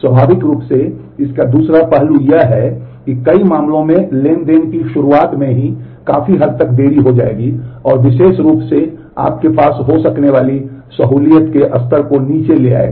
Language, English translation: Hindi, Naturally, the flip side of this is this will delay the beginning of the transactions to a great extent in many cases, and particularly will bring down the level of concurrency that you can have